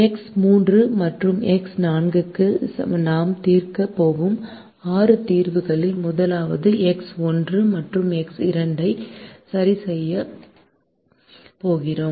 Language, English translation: Tamil, the first out of the six solutions we are going to solve for x three and x four and we are going to fix x one and x two at zero